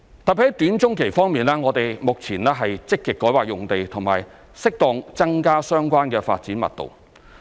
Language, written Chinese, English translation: Cantonese, 特別在短中期方面，我們目前積極改劃用地和適當增加相關的發展密度。, In particular regarding measures in the short to medium term now we are actively rezoning sites and increasing the relevant development intensity as appropriate